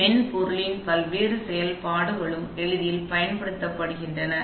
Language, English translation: Tamil, So, various functionality of software are also provided for ease of use